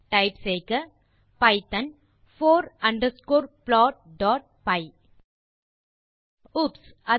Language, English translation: Tamil, Type python four underscore plot.py Oops